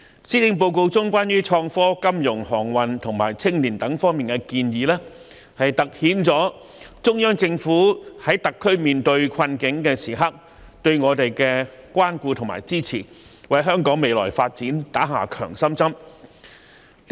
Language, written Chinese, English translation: Cantonese, 施政報告中有關創科、金融、航運及青年發展等方面的建議，凸顯了中央政府在特區面對困境時對我們的關顧和支持，為香港的未來發展打了一支強心針。, The proposed initiatives in the Policy Address concerning innovation and technology financial services aviation industry and youth development have highlighted the care and support of the Central Government for the plight - stricken Hong Kong Special Administrative Region HKSAR which will be a shot in the arm for the future development of Hong Kong